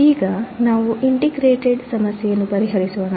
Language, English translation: Kannada, Let us solve a problem for the integrator